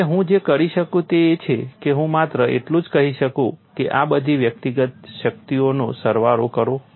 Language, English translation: Gujarati, So, what I could do is I could simply say some all these individual energies